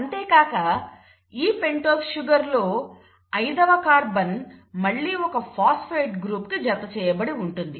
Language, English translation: Telugu, And the fifth carbon of the pentose sugar in turn is attached to the phosphate group